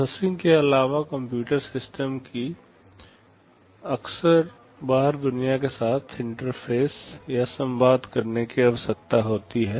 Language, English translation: Hindi, In addition to processing, the computer system often needs to interface or communicate with the outside world